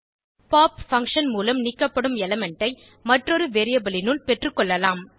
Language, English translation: Tamil, The element removed by pop function can be collected into another variable